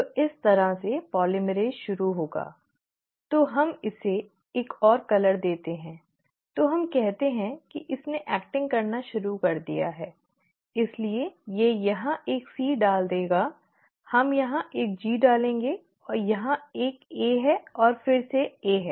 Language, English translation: Hindi, So this is how the polymerase will start, so let us give another colour, so let us say it starts acting so it will put a C here, we will put a G here, it is an A here and A again